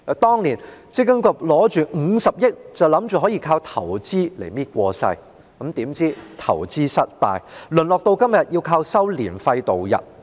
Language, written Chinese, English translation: Cantonese, 當年積金局心想用這50億元進行投資，便可應付日常營運開支，殊不知投資失敗，淪落到今天要靠收取註冊年費來營運。, Back then MPFA thought that the 5 billion grant would generate sufficient investment returns to meet its operating expenditure . However owing to investment failure MPFA has to resort to relying on incomes from ARF for operation